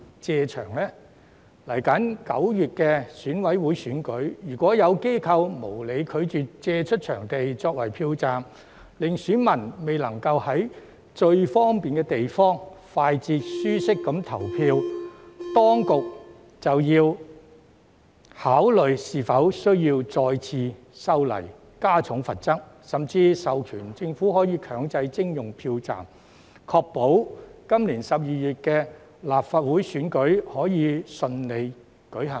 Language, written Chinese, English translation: Cantonese, 接下來9月的選委會選舉，如果有機構無理拒絕借出場地作為票站，令選民未能在最方便的地方，快捷及舒適地投票，當局便要考慮是否需要再次修例，加重罰則，甚至授權政府可以強制徵用票站，確保今年12月的立法會選舉可以順利舉行。, For the coming EC elections in September if an organization unreasonably refuses to make available its premises for use as a polling station so that voters cannot vote in the most convenient place quickly and comfortably the authorities will have to consider whether they need to amend the law again to increase the penalty or even authorize compulsory acquisition by the Government of premises for use as polling stations to ensure the smooth conduct of the Legislative Council election in December this year